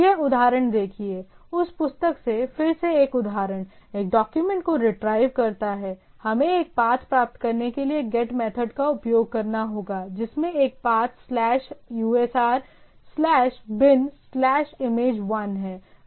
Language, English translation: Hindi, The example here, a example again from that book that example retrieves a document, we get a get method to retrieve an image with a path slash usr slash bin slash image 1